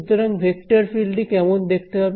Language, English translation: Bengali, So, what is this vector field look like